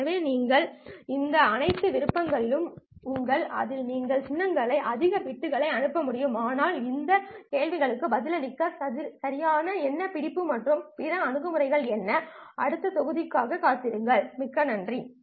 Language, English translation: Tamil, So you have all these options in which you are able to transmit more bits per symbol but what exactly is the catch here and what is the other approach in order to answer these questions